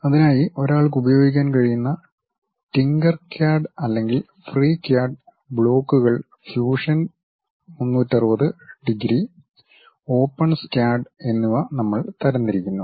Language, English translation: Malayalam, For that we are categorizing TinkerCAD one can use, or FreeCAD, Blocks, Fusion 360 degrees and OpenSCAD